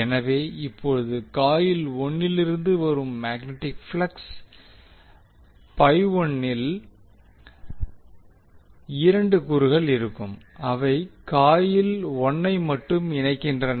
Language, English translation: Tamil, So now the magnetic flux 51 which will be coming from the coil 1 will have 2 components one components that Links only the coil 1